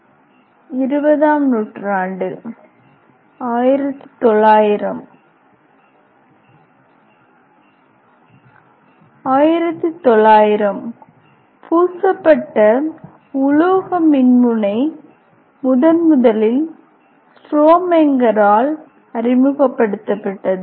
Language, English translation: Tamil, Generally in 1900 years in the year of 1900 Coated metal electrode was first introduced by a Strohmenger